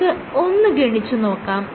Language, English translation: Malayalam, You can calculate this